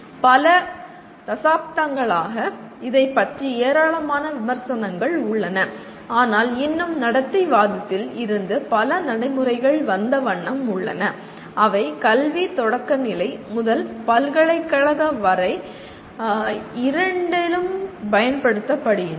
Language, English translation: Tamil, There has been enormous amount of criticism of this over the decades but still there are many practices that have come from behaviorism which are still in use during both elementary to university type of education